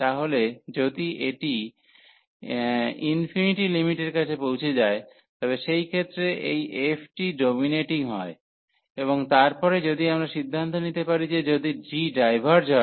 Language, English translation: Bengali, So, if this is approaching to infinity in the limiting case this ratio, so in that case this f is dominating and then if we can conclude that if g diverges